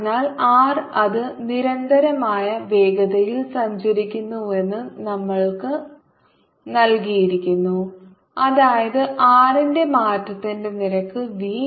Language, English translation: Malayalam, we are given that that moving, the constant velocity, that is, rate of change of r, is v